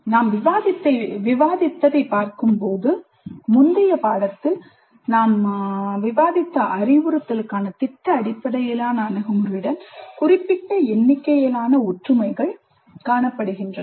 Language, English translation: Tamil, Now if you look at what we have discussed so far we see certain number of similarities with the project based approach to instruction which we discussed in the previous unit